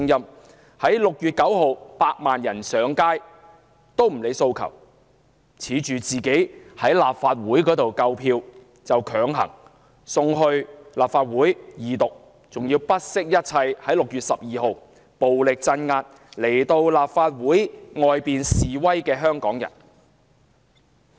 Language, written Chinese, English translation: Cantonese, 她亦不理會6月9日百萬人上街的訴求，自恃在立法會內有足夠支持，就強行恢復《條例草案》的二讀辯論，更不惜一切在6月12日暴力鎮壓到立法會大樓外示威的香港人。, Assured by the fact that enough support had been garnered in the Legislative Council she turned a deaf ear to the aspirations of 1 million people who took to the streets on 9 June pressed relentlessly ahead with the resumption of the Second Reading debate on the Bill and suppressed at all costs those Hongkongers who mounted a protest outside the Legislative Council Complex on 12 June in a brutal crackdown